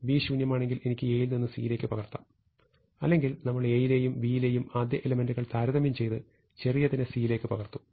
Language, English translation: Malayalam, If B is empty I can copy A into C; otherwise we compare the first element of A and B and move the smaller of the two into C, and we repeat this until everything has been moved